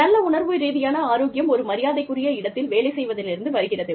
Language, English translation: Tamil, Good emotional health comes from, working in a respectful place